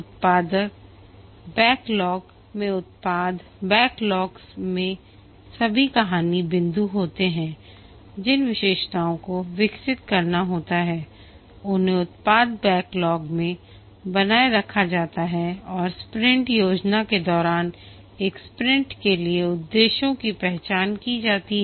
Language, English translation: Hindi, From the product backlog, the product backlog has all the story points or the features to be developed are maintained in a product backlog and during sprint planning the objectives for a sprint is identified